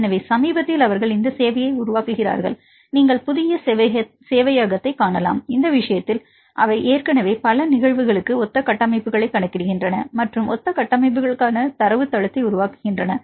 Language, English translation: Tamil, So, recently they develop this serve you can see the new server, in this case they already calculate the similar structures for several cases and the develop database for the similar structures right, in this case you do not have to calculate again